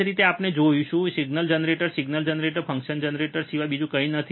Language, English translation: Gujarati, Same way we will see today, there is a signal generator signal, generator is nothing but a function generator